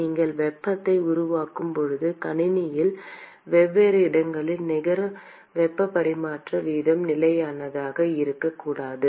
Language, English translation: Tamil, When you have heat generation, the net heat transfer rate at different locations in the system is not constant